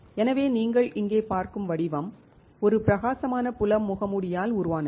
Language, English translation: Tamil, So, the pattern here that you are looking at is by a bright field mask